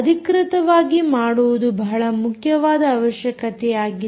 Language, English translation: Kannada, authentication is a very important thing